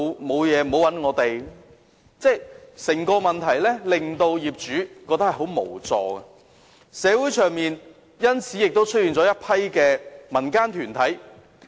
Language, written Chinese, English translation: Cantonese, 所以，整件事情令業主感到很無助，社會上因此亦出現了一些民間團體。, Therefore the entire situation has made the owners feel utterly helpless and this explains why some civil organizations have been set up in the community